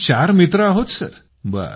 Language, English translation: Marathi, We are four people Sir